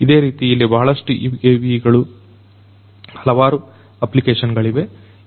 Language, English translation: Kannada, There are so many different types of UAVs that are there